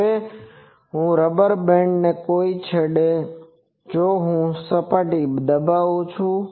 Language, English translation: Gujarati, Now, if I at some point of the rubber band, if I pin it to the surface ok